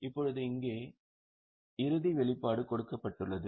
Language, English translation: Tamil, Now here the final disclosure is given